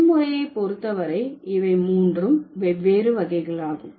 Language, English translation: Tamil, So, as far as the number system is concerned, these are the three different types